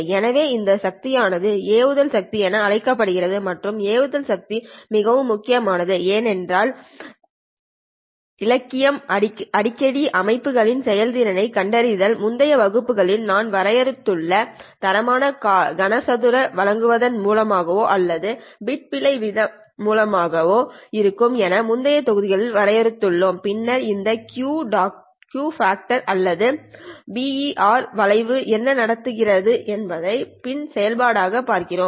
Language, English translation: Tamil, So this power is called as the launch power and launch power is very important because you frequently in the literature find the performance of the systems either by giving the quality factor Q which we have defined in the earlier classes or by giving the bit error rate which again we have defined in the earlier modules and then looking at what happens to this Q factor or the BER curves as a function of P in